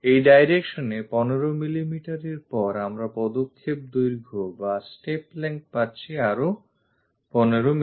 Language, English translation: Bengali, On this direction after 15 mm we have the step length of another 15 mm